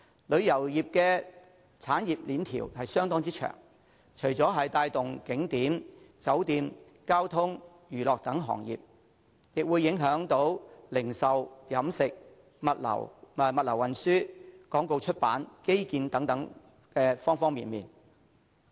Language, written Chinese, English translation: Cantonese, 旅遊業的產業鏈相當長，除了帶動景點、酒店、交通及娛樂等行業，亦會影響零售、飲食、物流運輸、廣告出版及基建等各方面。, The value chain of the tourism industry is very long . It promotes tourist attractions and trades such as hotels transport and entertainment as well as affects trades such as retail catering logistics and transport advertising and publishing and infrastructures